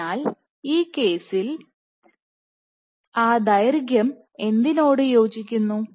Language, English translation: Malayalam, So, in that case what this length corresponds to